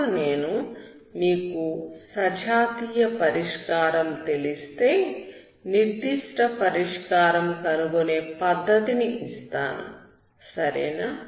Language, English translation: Telugu, I will give the method to find such a particular solution if you know homogeneous solution, okay